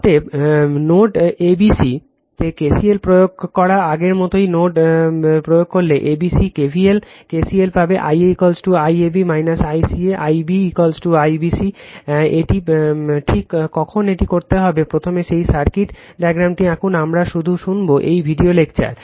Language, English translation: Bengali, Therefore, applying KCL at nodes ABC, similar same as before, if you apply at node ABC KVL your KCL you will get I a is equal to I AB minus I CA, I b is equal to I BC it is just when you do this one just draw that circuit diagram first then, we will just listen to this video lecture right